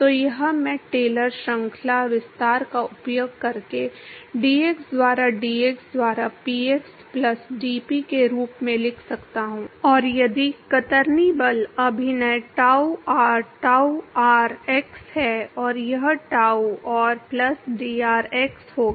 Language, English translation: Hindi, So this I can write as px plus dp by dx into dx using Taylor series expansion and if the shear force acting is tau r tau r x and this will be tau r plus dr x